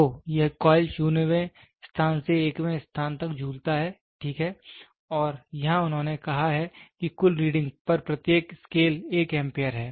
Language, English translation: Hindi, So, this coil swings from 0th position to the 1th position, right and here they have said what is the each scale one the total reading is 1 Amperes